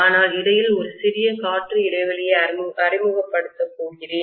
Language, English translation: Tamil, But I am going to introduce a small air gap in between